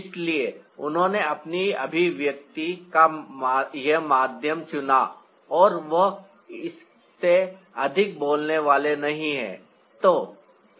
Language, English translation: Hindi, so she choose this medium of his expression and he is not going to speak more than this